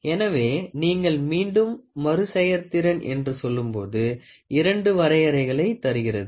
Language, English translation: Tamil, So, when you put that repeatability gets into these two definitions